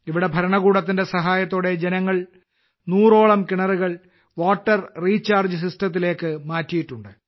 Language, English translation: Malayalam, Here, with the help of the administration, people have converted about a hundred wells into water recharge systems